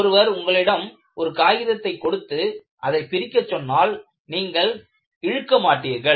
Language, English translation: Tamil, Because if somebody gives a sheet of paper and ask you to separate, you will not pull it like this